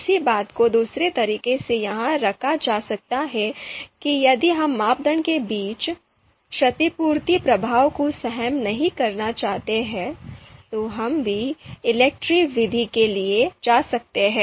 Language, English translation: Hindi, So another way to put it put another the same thing has been put in another way here that if we don’t want to tolerate the compensation effect between criteria, then also we can go for EELCTRE that being its one of the main advantage